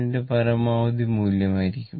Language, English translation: Malayalam, 707 into maximum value